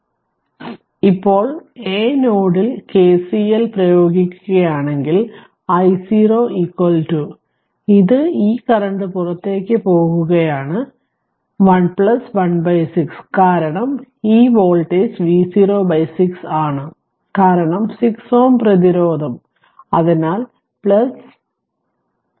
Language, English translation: Malayalam, So, if you now apply KCL at node a so, i 0 is equal to right, this i right is equal to this i this this is a entering this current is leaving and plus 1 by 6 because this voltage is V 0 by 6, because 6 ohm resistance; so, plus your 1 by 6